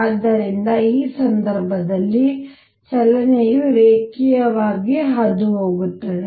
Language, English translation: Kannada, So, in that case the motion will be linear passing through the origin